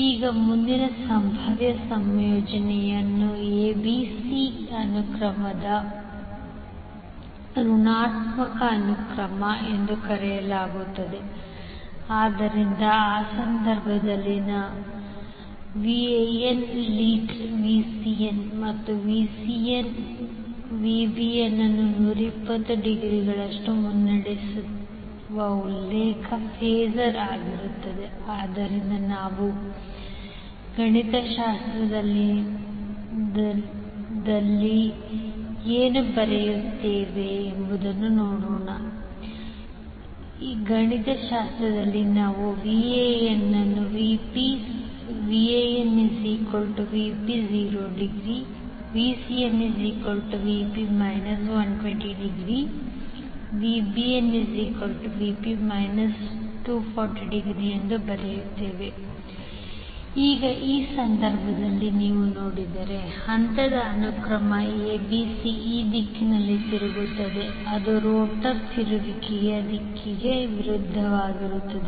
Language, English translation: Kannada, Now next possible combination is say ACB sequence which is called as a negative sequence, so in that case what happens that you are reference phasor that is VAN is leading VCN by 120 degree and then VCN is VCN is leading VBN by another 120 degree, so what we write mathematically we write VAN is nothing but VP angle 0 degree, VP is the RMS value of the voltage VCN is VP angle minus 120 degree VBN will be VP angle minus 240 degree or you can write VP angle 120 degree